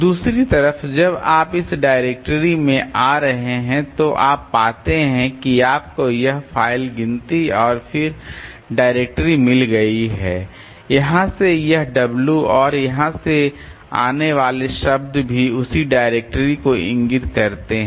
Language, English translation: Hindi, On the other hand, so this one when you are coming by this dictionary so you find that you have got this file count and the directories and also this w from here and the words from here they point to the same directory